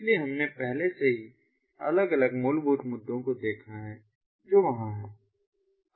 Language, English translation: Hindi, so we have already seen the different fundamental issues that are out there